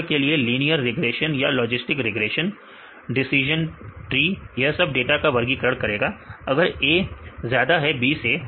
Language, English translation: Hindi, For example, linear regression or logistic regression , decision tree this will classify this data, if A is more than B